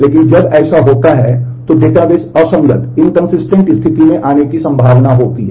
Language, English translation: Hindi, So, why when that happens the database is likely to come into an inconsistent state